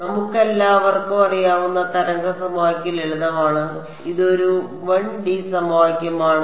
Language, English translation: Malayalam, This is simple 1D wave equation we know all know how to solve it right you